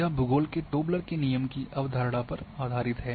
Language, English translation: Hindi, So, this is based on the concept of Tobler’s Law of Geography